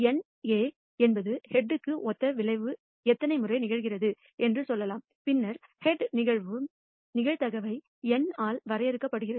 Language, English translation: Tamil, Let us say NA is the number of times that the outcome corresponding to the head occurs, then the probability of head occurring can be defined as NA by N